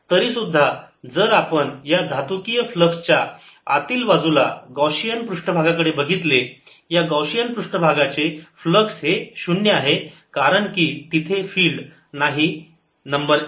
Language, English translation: Marathi, however, if i look at the gaussian surface inside, the metallic flux of this gaussian surface is zero because there is no field